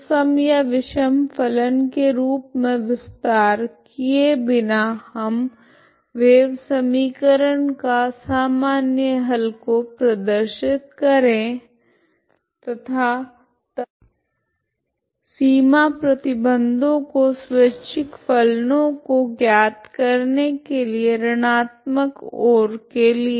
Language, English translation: Hindi, So without extending as even or odd function we can also just by looking at the general solution of the wave equation and then make use of the boundary condition for to find the arbitrary functions one in the negative side